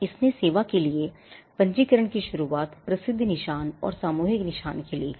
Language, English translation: Hindi, It introduced registration for service well known marks and collective marks